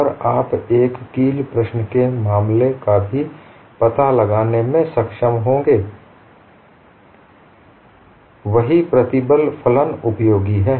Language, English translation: Hindi, And you would also be able to find out for the case of a wedge problem, the same stress function is useful